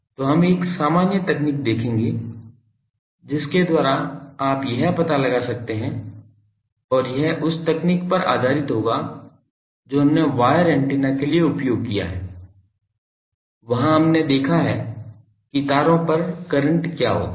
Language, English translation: Hindi, So, we will see a general technique by which you can find out and that will be based on the technique we have used for wire antennas that there we have seen that what is the current on the wires